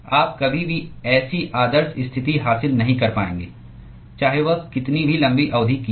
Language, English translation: Hindi, You will never achieve such an ideal situation however long the fin is going to be